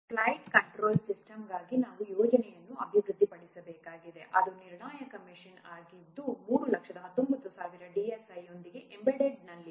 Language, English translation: Kannada, Suppose you have to develop a project for a flight control system which is mission critical with 3190 DSA in embedded mode